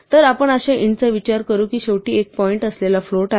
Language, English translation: Marathi, So, we can always think of an int as being a float with a point 0 at the end